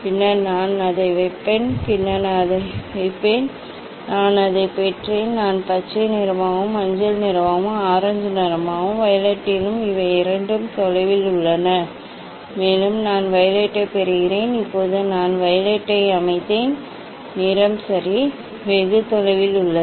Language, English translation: Tamil, then I will place it, then I will place it, yes, I got it I am getting green, then yellow, then orange, yes, and then also violet these are two far ok, also I am getting violet now I set a violet colour ok, it is a quite away